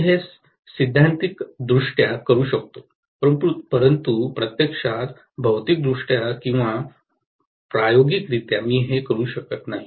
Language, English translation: Marathi, I can do it theoretically, but I cannot do it actually physically or experimentally